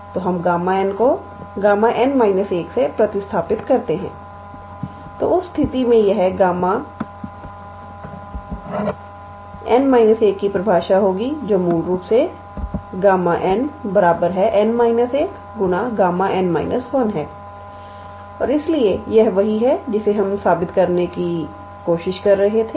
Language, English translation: Hindi, So, let us replace gamma n by n minus 1, then in that case this one will be the definition of gamma n minus 1 which is basically our gamma n and therefore, this is what we needed to prove, alright